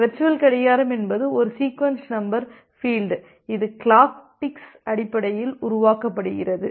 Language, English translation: Tamil, This virtual clock is a sequence number field which is generated based on the clock ticks